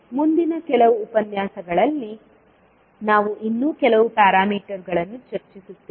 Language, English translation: Kannada, We will discuss few more parameters in the next few lectures